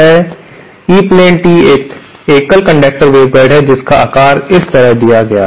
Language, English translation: Hindi, Now, E plane tee is a single conductor waveguide whose shape is given like this